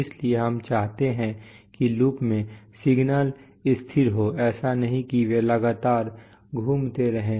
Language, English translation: Hindi, So we want that signals in the loop should be stable, it is not that they should be continuously moving around